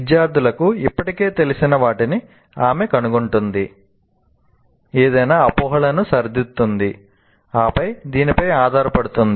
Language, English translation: Telugu, She finds out what students already know, corrects any misconceptions, and then builds onto this